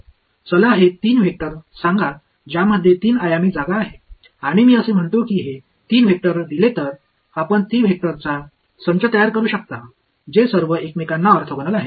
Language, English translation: Marathi, Let us say these 3 vectors wherein 3 dimensional space and I say that given these 3 vectors, can you construct a set of 3 vectors which are all orthogonal to each other